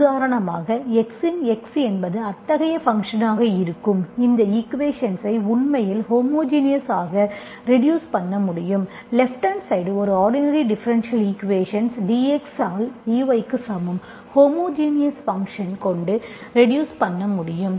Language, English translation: Tamil, So for example, those functions where f of x is such a function, we can actually reduce this equation to homogeneous, an ordinary differential equation with the right hand side, dy by dx equals to, with a homogeneous function, you can reduce this into an homogeneous equation, okay